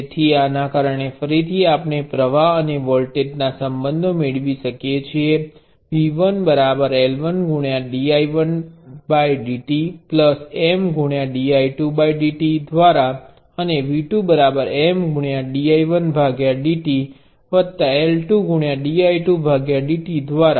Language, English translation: Gujarati, So, because of this again we can get the current voltage relationships which are that V 1 is L 1 dI 1 by dt plus M dI 2 by dt and V 2 is M dI 1 by dt plus L 2 dI 2 by dt